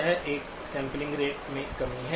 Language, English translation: Hindi, This is a sampling rate reduction